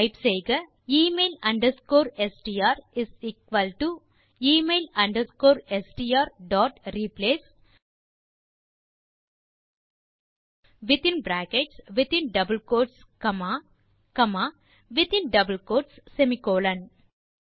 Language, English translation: Tamil, Type email underscore str is equal to email underscore str dot replace then in brackets in double quotes comma then in another double quotes semicolon